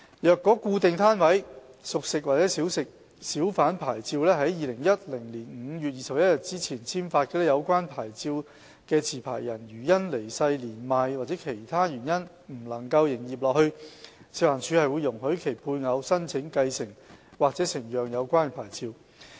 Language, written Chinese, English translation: Cantonese, 若固定攤位小販牌照是在2010年5月21日前簽發的，有關持牌人如因離世、年邁或其他原因不能營業下去，食環署會容許其配偶申請繼承或承讓有關牌照。, If a Fixed - Pitch Hawker Licence was issued before 21 May 2010 the licensees spouse will be allowed to apply for succession or transfer of the licence when the licensee cannot continue to operate his or her business on grounds of death old age or other reasons